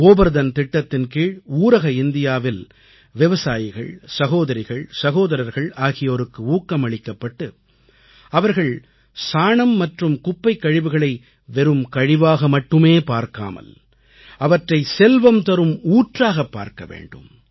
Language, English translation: Tamil, Under the Gobardhan Scheme our farmer brothers & sisters in rural India will be encouraged to consider dung and other waste not just as a waste but as a source of income